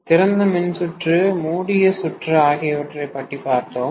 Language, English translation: Tamil, So, we were looking at open circuit test and short circuit test